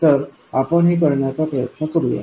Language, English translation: Marathi, So let's do that